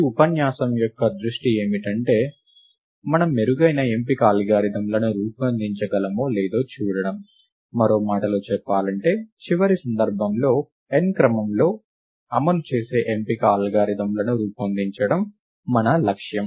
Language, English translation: Telugu, The focus of this lecture is to see if we can design better selection algorithms, in other words our aim is to design selection algorithms which run in time order of n in the worst case